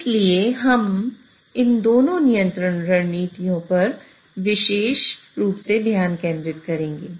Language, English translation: Hindi, So we'll be focusing specifically on these two control strategies